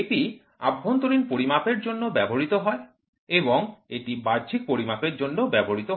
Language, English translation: Bengali, So, this is used for internal measurement and this is used for external measurement